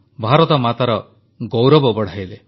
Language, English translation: Odia, They enhanced Mother India's pride